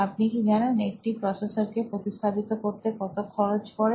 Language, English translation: Bengali, Do you know the cost of the replacing a processor